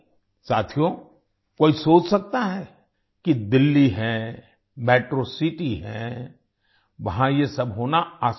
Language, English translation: Hindi, Friends, one may think that it is Delhi, a metro city, it is easy to have all this here